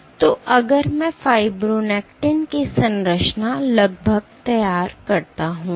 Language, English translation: Hindi, So, if I were to draw approximately the structure of fibronectin